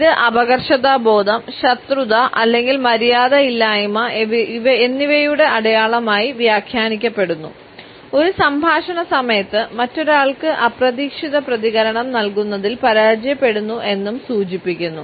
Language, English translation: Malayalam, It is also interpreted as a sign of impoliteness, hostility or even dumbness, a failure to provide unexpected response to the other person during a dialogue